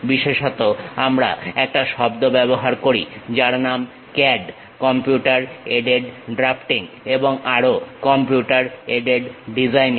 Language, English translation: Bengali, We popularly use a word name CAD: Computer Aided Drafting and also Computer Aided Designing